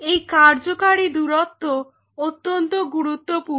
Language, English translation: Bengali, This working distance is critical why this is critical